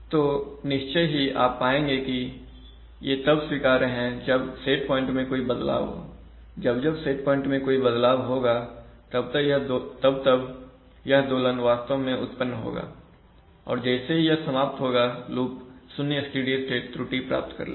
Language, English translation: Hindi, So obviously, you will find that they are acceptable, when, see the set point, every time there is a set point change such an oscillation will actually result, it will die down and then from then on after it dies down the loop will exactly achieve zero steady state error